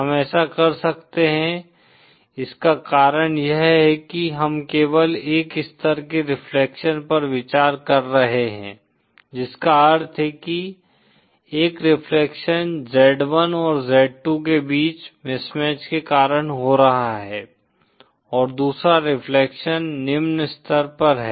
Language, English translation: Hindi, The reason we can do this is because we are only considering a single level reflection which means that one reflection is happening due to the mismatch between z1& z2 & the other reflection at the low level